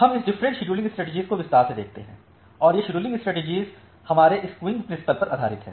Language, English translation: Hindi, So, we look into this different scheduling strategy in details and this scheduling strategy are based on the queuing principles that we have